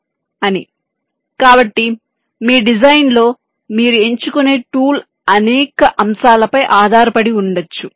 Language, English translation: Telugu, so, of course, the kind of tool that you will be choosing in your design may depend on a number of factors